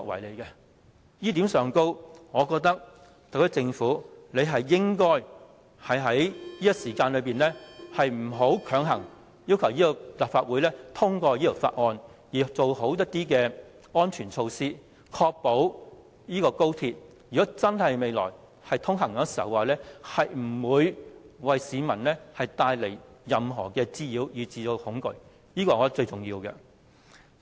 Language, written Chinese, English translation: Cantonese, 就這一點，我認為特區政府不應在此時強行要求立法會通過《條例草案》，而是做好安全措施，確保高鐵未來通車時，不會為市民帶來任何滋擾甚至恐懼，這是最重要的。, As such I think the HKSAR Government should not force the Legislative Council to pass the Bill right now . It should instead implement safety measures properly to ensure that the future operation of XRL will not bring nuisance or even fear to the public . That is of vital importance